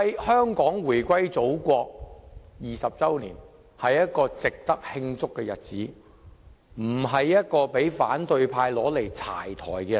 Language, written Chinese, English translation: Cantonese, 香港回歸祖國20周年是值得慶祝的日子，而不是讓反對派"柴台"的日子。, The 20 anniversary of Hong Kongs return to the Motherland is a day for celebration not a day for the opposition camp to boo